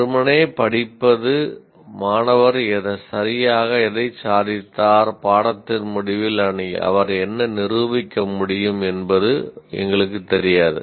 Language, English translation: Tamil, Merely studying is we don't know what exactly the student has achieved and what he is capable of demonstrating at the end of the course is nothing